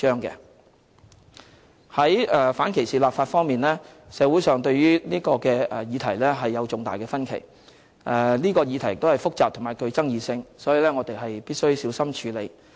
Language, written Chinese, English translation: Cantonese, 在反歧視立法方面，社會上對於這個議題有重大的分歧，有關議題亦是複雜及具爭議性，我們必須小心處理。, There is a serious disagreement in society over the issue of legislating for the elimination of discrimination and given its complexity and controversy we have to handle the issue with care